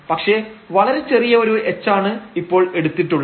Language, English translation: Malayalam, So, this is a still negative we have taken a much smaller h now